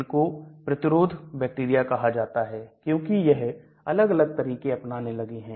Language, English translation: Hindi, They are called resistant bacteria because they start doing different tricks